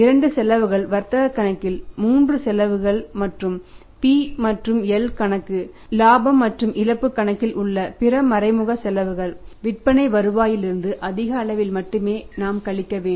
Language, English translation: Tamil, Both expenses expenses 3 expenses in the trading account and other indirect expenses in the p and L account profit and loss account and then we will have to subtract those from the sales revenue only largely